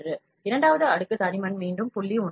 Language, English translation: Tamil, 1, the second layer thickness is again 0